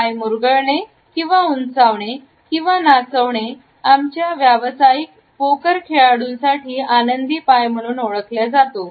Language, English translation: Marathi, Tapping bouncing or jiggling feet; our professional poker players refer to as happy feet